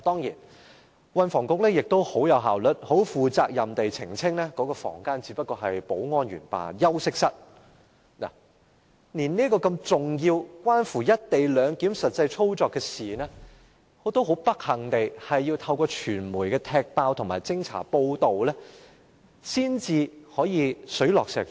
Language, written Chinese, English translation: Cantonese, 就此，運輸及房屋局亦很有效率，很負責任地澄清，指出該房間只是保安員休息室，但對於這個如此重要，關乎"一地兩檢"實際操作的事情，卻很不幸地，我們是要透過傳媒揭發及偵查報道，才可以水落石出。, In response the Transport and Housing Bureau has efficiently and responsibly clarified that the room is just a common room for security staff . Here the point I must raise is that this is a very important matter related to the actual operation of the co - location arrangement but we can learn of the truth only from the media disclosure investigation and report . How very unfortunate it is